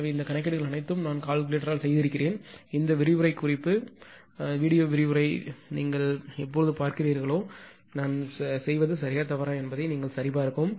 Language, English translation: Tamil, So, all this calculations whatever I made by calculator I request you when you will go through this lecture note, read your lecture anything, you have please verify whether I am right or wrong